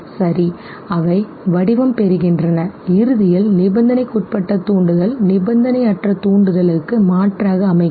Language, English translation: Tamil, Now let us look at one question, if the conditioned stimulus substitutes the unconditioned stimulus okay